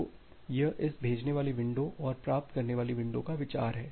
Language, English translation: Hindi, So, that is the idea of this sending window and the receiving window